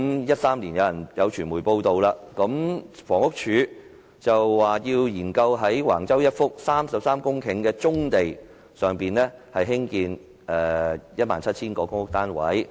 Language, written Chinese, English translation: Cantonese, 有傳媒在2013年報道，房屋署說要研究在橫洲一幅33公頃的棕地上興建 17,000 個公屋單位。, In 2013 it was reported in the media that the Housing Department wanted to study the feasibility of building 17 000 public housing units on 33 hectares of brownfield sites at Wang Chau